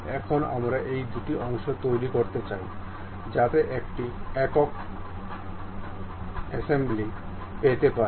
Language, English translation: Bengali, Now, we would like to really make these two parts, so that one single assembly one can really get